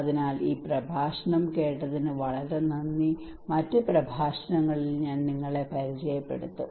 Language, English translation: Malayalam, So thank you very much for listening this lecture and I will introduce to you in other lectures